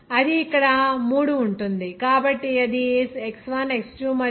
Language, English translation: Telugu, That will be three so here X1 X2 and …